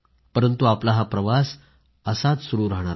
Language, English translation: Marathi, But our journey shall continue